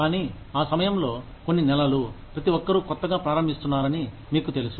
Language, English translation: Telugu, But, at that time, for a few months, you know, everybody is starting afresh